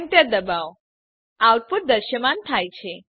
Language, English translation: Gujarati, Press Enter The output is displayed